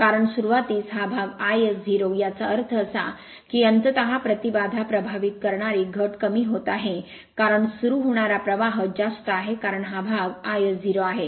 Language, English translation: Marathi, Because at the at the start this part is 0; that means, ultimately affecting impedance is getting reduced because of that starting current is higher because this part is 0 right